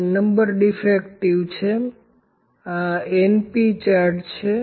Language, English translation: Gujarati, So, this is an example of np chart